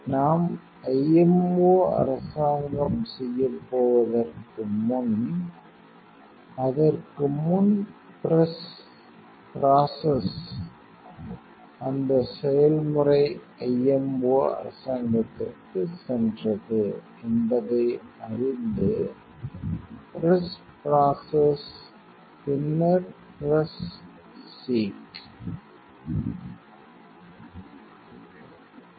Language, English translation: Tamil, So, we are going to doing the IMO government before that press that process you know went to IMO government press the process then press the seek